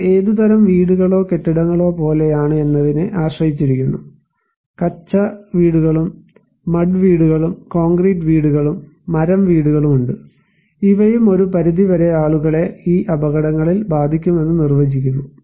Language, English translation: Malayalam, This also depends on what kind of houses or buildings are there like, if we have Kutcha houses and mud houses and you have concrete houses, it also wood houses, these also define that one extent, people will be impacted with these hazards